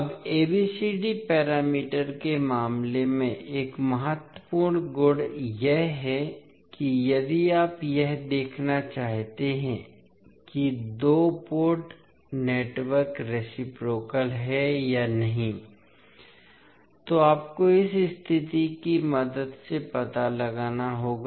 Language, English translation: Hindi, Now, one of the important properties in case of ABCD parameters is that if you want to see whether the particular two port network is reciprocal or not, you need to find out with the help of this condition